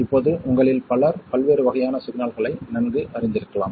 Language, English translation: Tamil, Now, many of you may be familiar with different types of signals